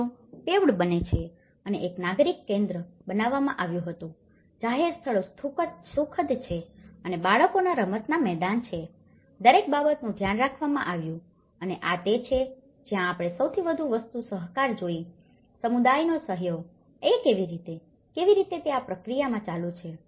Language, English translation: Gujarati, The streets are paved and a civic centre was built, public areas are pleasant and children playgrounds, everything has been taken care of and this is where, we see the biggest thing is the cooperation, the cooperation from the community, this is how, how it is continuing in this process